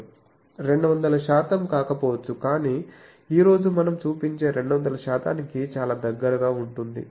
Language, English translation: Telugu, May not be 200 percent, but very close to 200 percent that we will show today